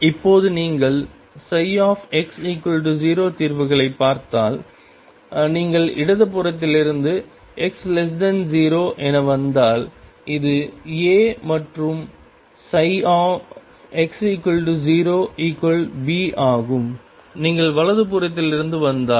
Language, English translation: Tamil, Now, if you look at the solutions psi x equal to 0, if you come from the left hand side that is x less than 0, this is A and psi x equals 0 is B, if you are come from the right hand side